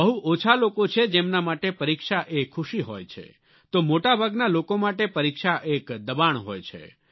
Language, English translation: Gujarati, But there are very few people for whom there is pleasure in the exam; for most people exam means pressure